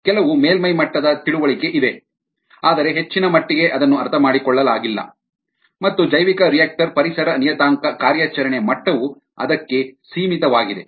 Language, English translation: Kannada, to a great extent some surface level understanding is there but to a great extent its not understood and ah the bioreactor environment parameter operation level is limited to that